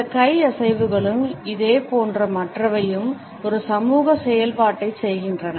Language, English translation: Tamil, These hand movements as well as similar other perform a social function